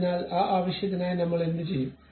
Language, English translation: Malayalam, So, for that purpose what I will do